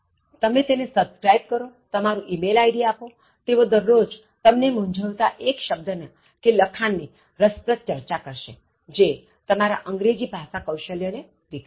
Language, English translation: Gujarati, In fact, if you subscribe and give your email id, every day they will give you one interesting, confusing words or one interesting discussion on writing or generally about developing your English Skills